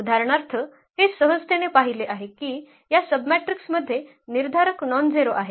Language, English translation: Marathi, For example, this was a easy we have easily seen that this submatrix has determinant nonzero